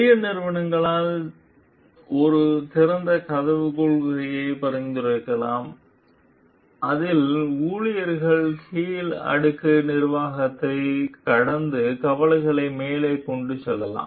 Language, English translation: Tamil, So, large company may suggest for an open door policy in which employees may bypass lower layer management to take concern to the top